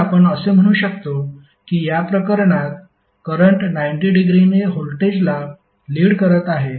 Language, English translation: Marathi, So what we can say that in this case current will lead voltage by 90 degree